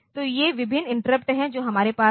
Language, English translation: Hindi, So, these are the various interrupts that we have